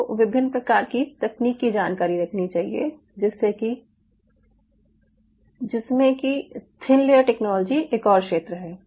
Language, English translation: Hindi, you should be able to know the different kind of a thin layer technology, a thin layer technology